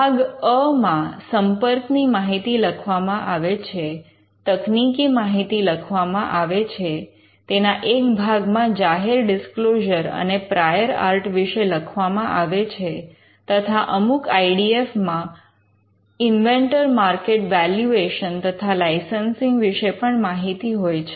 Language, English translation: Gujarati, It has a part A, it is it has a part where the contact information is mentioned, the technical information is mentioned, a part where the public disclosure and prior art is mentioned, and in some IDFs you will find that, there is a market valuation and licensing also that is captured